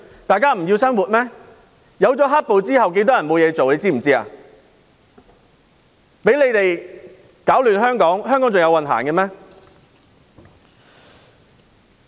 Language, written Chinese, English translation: Cantonese, 多少人在"黑暴"後失業，他們攪亂香港，香港還有運行嗎？, How many people have lost their jobs after the black violence? . They are disrupting Hong Kong; will Hong Kong be in luck?